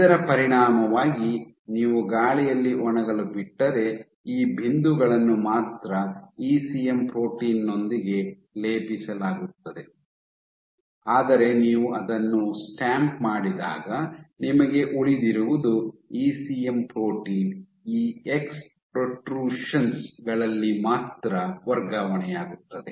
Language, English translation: Kannada, So, as a consequence if you let it air dry only these points all these points will be coated with your ECM protein, but when you stamp it then what you will be left with is the ECM protein only at these ex protrusions will get transferred